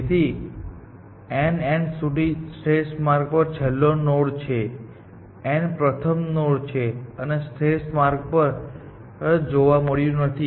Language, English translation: Gujarati, So, n of l, last node on optimal path to n, last node seen, and n of l plus one is the first node on optimal path, which is not seen